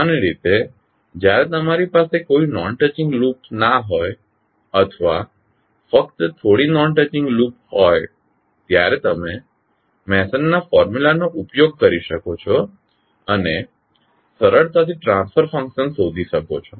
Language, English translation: Gujarati, So generally when you have no non touching loop or only few non touching loop you can utilize the Mason’s formula easily find out the transfer function